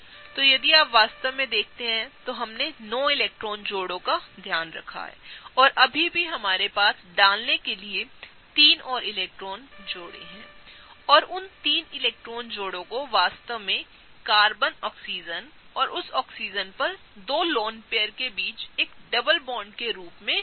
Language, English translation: Hindi, So, if you really see we have taken care of the 9 electron pairs and we have 3 more electron pairs to put and those 3 electron pairs can actually go as a double bond between the Oxygen Carbon and the 2 lone pairs on that Oxygen